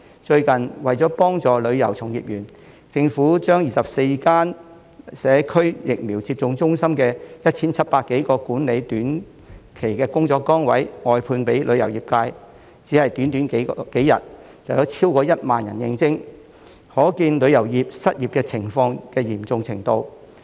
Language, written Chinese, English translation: Cantonese, 最近，為幫助旅遊從業員，政府將24間社區疫苗接種中心的 1,700 多個管理短期工作崗位，外判予旅遊業界，短短幾天，有超過1萬人應徵，可見旅遊界失業的嚴重程度。, Recently in order to help tourism industry members the Government outsourced more than 1 700 short - term management jobs in 24 community vaccination centres to the tourism industry and in just a few days more than 10 000 people applied . We can thus see the seriousness of unemployment in the tourism industry